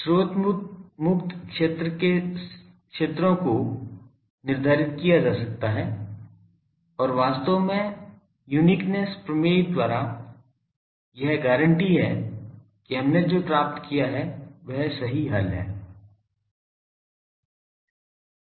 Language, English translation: Hindi, The fields in the source free region can be determined and actually by uniqueness theorem there is a guarantee that, what we determined that is the correct solution